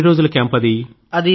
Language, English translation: Telugu, How long was that camp